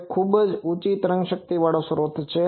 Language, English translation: Gujarati, It is a very high power excitation source